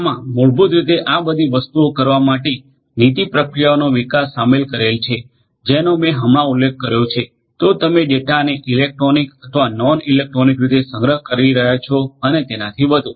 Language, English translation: Gujarati, This basically also includes development of policies procedures to do all these above things that I mentioned just now either you are storing the data in electronic or non electronic manner and so on